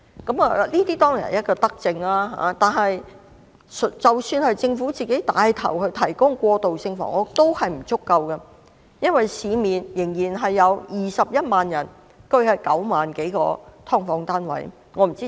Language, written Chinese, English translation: Cantonese, 這當然是一項德政，但即使政府牽頭提供過渡性房屋，仍不足夠，因為市面仍然有21萬人居於9萬多個"劏房"單位。, This is certainly a benevolent policy . But even if the Government takes the lead in providing transitional housing it is still insufficient because there are still 210 000 people living in some 90 000 subdivided units in the market